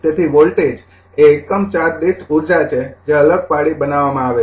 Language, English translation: Gujarati, So, voltage is the energy per unit charge created by the separation